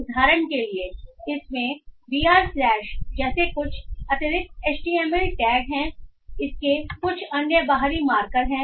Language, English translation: Hindi, For example it has some extra HTML tags like BR slash it has some other external markers